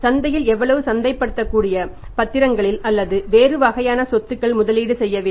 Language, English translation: Tamil, How much it has to be invested into the market into the marketable securities or into the other kind of assets